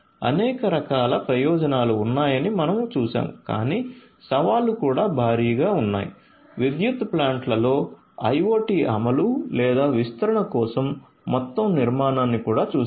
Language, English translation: Telugu, We have seen that there are many many different types of benefits, but the challenges are also huge, we have also looked at the overall architecture for the implementation or the deployment of IoT in the power plants